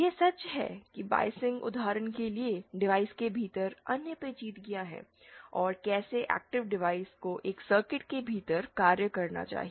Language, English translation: Hindi, It is true that there are other intricacies within the device for example the biasing and how the active device should be acting within a circuit